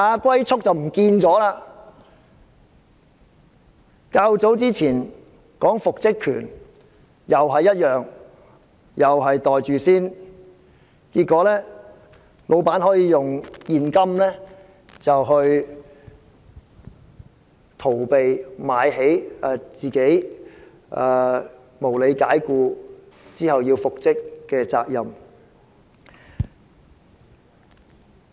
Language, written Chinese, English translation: Cantonese, 較早時候曾討論的復職權亦如是，市民同樣要"袋住先"，結果老闆可以用現金"買起"准許被無理解僱的顧員復職的責任。, The same happened to the reinstatement right discussed earlier . Members of the public were likewise asked to pocket the benefit first . As a result the bosses can use cash to buy up the responsibility for reinstating employees who have been unreasonably dismissed